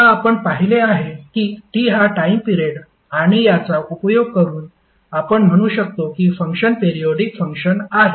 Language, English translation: Marathi, Now, as we have seen that capital T is nothing but time period and using this we can say that the function is periodic function